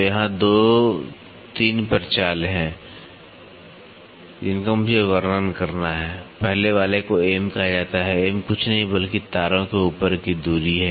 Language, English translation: Hindi, So, here there are 2 3 parameters which I have to describe; first one is called as M, M is nothing, but the distance over wires